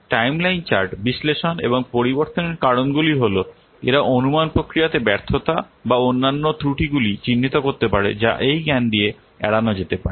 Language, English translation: Bengali, Analysis of the timeline chart and the reasons for the changes they can indicate the failures in the estimation process or other errors that might be avoided with that knowledge